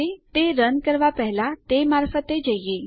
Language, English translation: Gujarati, Lets just go through it before you run it